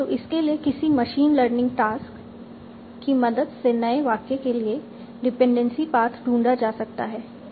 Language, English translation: Hindi, So it will be some sort of machine learning task for finding out the dependency pass for a new sentence